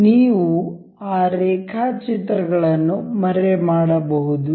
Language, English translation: Kannada, You can hide that sketches